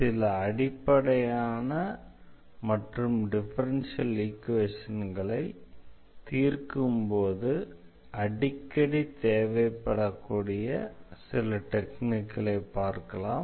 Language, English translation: Tamil, So, this is one of the very basic techniques which we use for solving differential equations